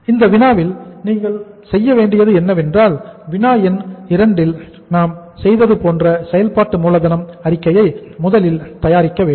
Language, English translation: Tamil, In that problem what you have to do is you will have to uh you have to say prepare number one is the working capital statement like this what we did in the problem number 2